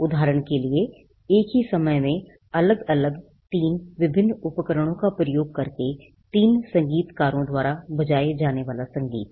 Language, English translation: Hindi, For example, the music that is played by three musicians using different 3 different instruments at the same time